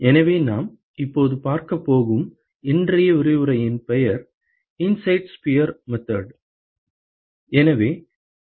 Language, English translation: Tamil, So, what we are going to see now is today’s lecture is called the ‘inside sphere method’